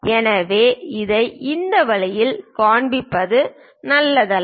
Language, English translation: Tamil, So, it is not a good idea to show it in this way, this is wrong